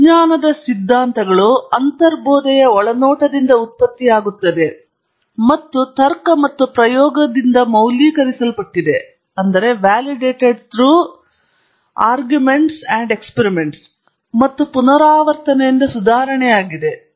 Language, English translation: Kannada, The theories of science are produced by intuitive insight and validated by logic and experiment and improved by iteration